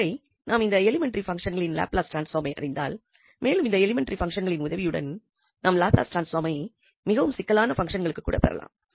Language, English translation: Tamil, But once we know the Laplace transform of these elementary functions, then with the help of these elementary functions we can actually derive Laplace transform of more complicated functions so that we will see later